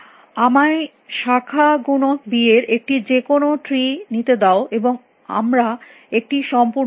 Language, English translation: Bengali, Let me take an arbitrary tree of branching factor b, and we will take a complete